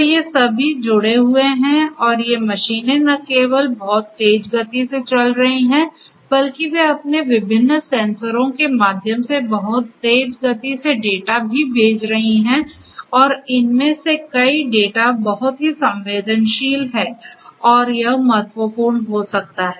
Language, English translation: Hindi, So, all of these are connected and these machines are operating at huge speeds not only that, but they are also sending data through their different sensors at very high speeds and many of this data are very time sensitive and could be critical